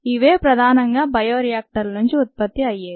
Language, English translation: Telugu, these are grown in large bioreactors